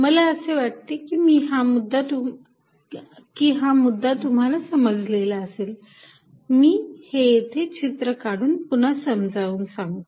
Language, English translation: Marathi, So, I hope this point is clear, but let me make it clear by drawing this picture again